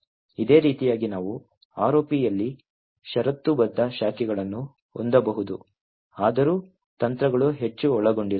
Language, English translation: Kannada, In a similar way we could also have conditional branching as well implemented in ROP although the techniques are much more involved